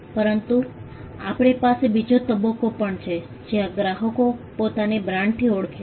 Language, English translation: Gujarati, But we also have another stage where, customers identify themselves with a brand